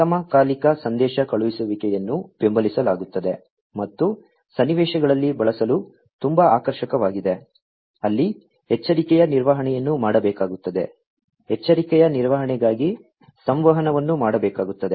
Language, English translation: Kannada, Asynchronous messaging is supported and is very much attractive for use in scenarios, where alarm handling will have to be done, the communication for alarm handling will have to be done